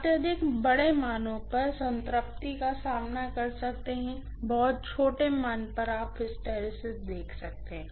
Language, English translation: Hindi, Extremely larger values you may encounter saturation, extremely smaller values you may see hysteresis